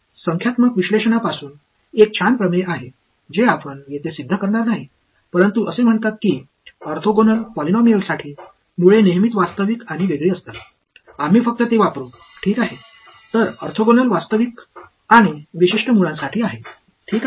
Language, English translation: Marathi, There is a nice theorem from numerical analysis which we will not prove over here, but it says that for orthogonal polynomials the roots are always real and distinct, we will just use it ok; so, for orthogonal real and distinct roots alright ok